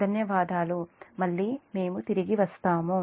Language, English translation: Telugu, thank you, i will come again